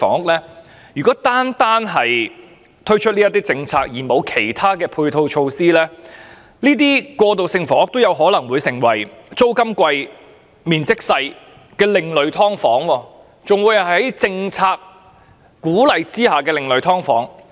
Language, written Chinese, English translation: Cantonese, 不過，如果單單推出政策而沒有制訂其他配套措施，過渡性房屋有可能成為租金貴而面積小的另類"劏房"，更是獲得政策鼓勵的另類"劏房"。, However if the policy is simply introduced with no other supporting measures formulated transitional housing units may become an alternative form of subdivided units with high rent and small size an alternative form of subdivided units with policy support